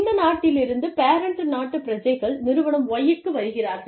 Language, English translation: Tamil, And, the parent country nationals, from this country, come to Y, Firm Y